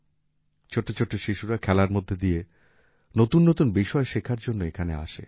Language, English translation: Bengali, Small children come here to learn new things while playing